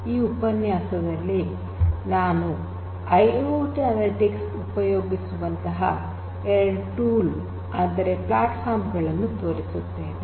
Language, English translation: Kannada, In this particular lecture, I am going to show you two tools platforms in fact, which could be used for IIoT analytics